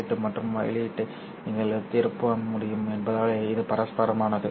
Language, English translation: Tamil, It is reciprocal because you can turn around the input and output